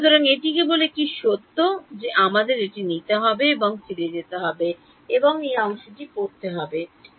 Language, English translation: Bengali, So, this is just a fact that we will have to take it and go back and read this part